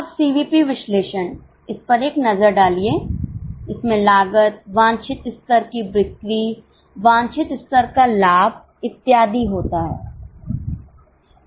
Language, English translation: Hindi, Now, CVP analysis takes a look at this like cost, desired level of sales, desired level of profit and so on